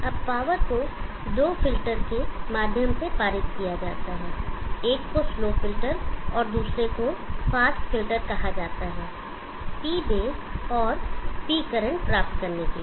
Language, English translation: Hindi, Now the power is pass through two filters, one is called the slow filter and another called the fast filter, to obtain P base and P current